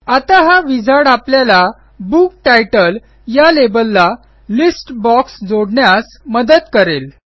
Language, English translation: Marathi, Now, this wizard will help us connect the list box to the Book title label